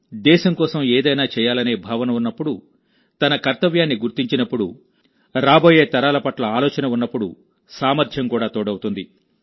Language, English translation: Telugu, When there is a deep feeling to do something for the country, realize one's duties, concern for the coming generations, then the capabilities also get added up, and the resolve becomes noble